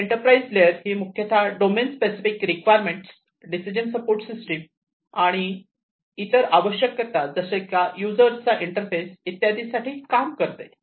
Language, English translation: Marathi, So, the enterprise layer basically implements domain specific requirements, decision support systems, and other requirements such as interfaces to end users